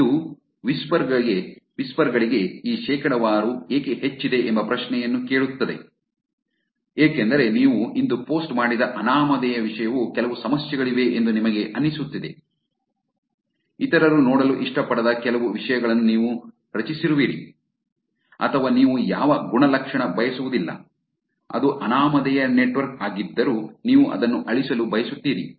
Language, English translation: Kannada, And this begs the question which is that for whisper why is this percentage high, because anonymous content you posted today you feel like there is some problem you feel like you created the some contents which others do not like to see or you do not want any attribution to you, even though it is an anonymous network, still you want to get it deleted